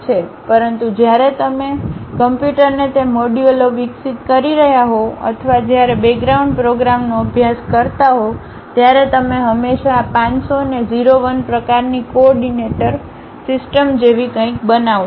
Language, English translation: Gujarati, But, when you are teaching it to the computer the modules, when you are going to develop or perhaps the background program you always normalize this one 500 to something like 0 1 kind of coordinate system